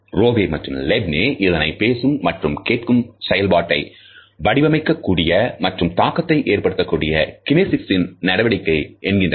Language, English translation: Tamil, Rowe and Levine have suggested that regulators are kinesic behaviors that shape or influence turn taking in his speech and listening